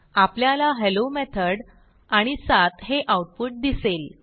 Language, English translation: Marathi, We see the output Hello Method and 7